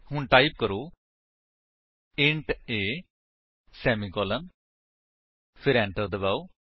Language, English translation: Punjabi, So, type: int a semicolon, then press Enter